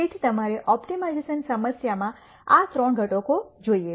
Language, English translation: Gujarati, So, you should look for these three components in an optimization problem